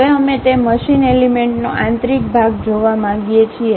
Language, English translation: Gujarati, Now, we would like to see the internal portion of that machine element